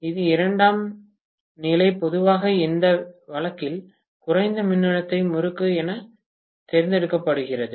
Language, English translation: Tamil, The secondary normally is chosen to be the low voltage winding in this case